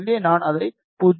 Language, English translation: Tamil, So, I will change it 0